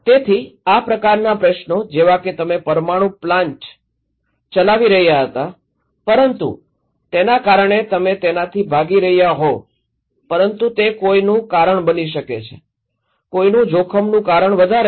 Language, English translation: Gujarati, So this kind of questions like you were running a nuclear power plant but that may cause you were running from that but that may cause someone’s, increase someone’s risk